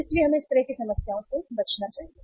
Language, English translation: Hindi, So we should avoid that kind of the problems